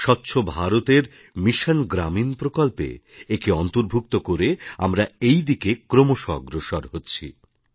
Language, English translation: Bengali, Under the Swachch Bharat Mission Rural, we are taking rapid strides in this direction